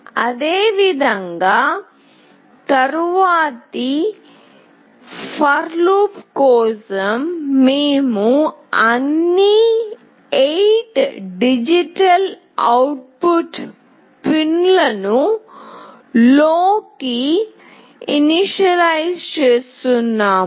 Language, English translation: Telugu, Similarly in the next for loop, we are initializing all the 8 digital output pins to LOW